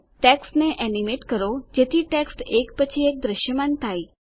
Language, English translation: Gujarati, Animate the text so that the text appears line by line